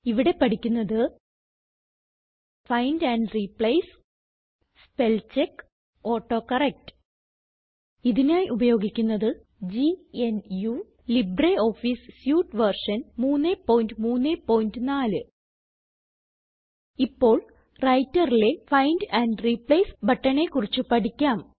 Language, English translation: Malayalam, In this tutorial we will learn the following: Find and Replace Spellcheck AutoCorrect Here we are using GNU/ Linux as our operating system and LibreOffice Suite version 3.3.4 Now let us start by learning about the Find and Replace button in the Writer